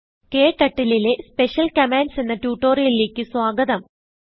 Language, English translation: Malayalam, Welcome to this tutorial on Special Commands in KTurtle